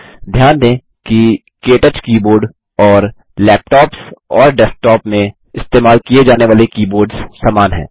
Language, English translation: Hindi, Notice that the KTouch keyboard and the keyboards used in desktops and laptops are similar